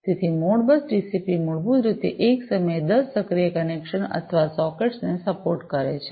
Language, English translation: Gujarati, So, Modbus TCP basically supports up to 10 active connections or sockets at one time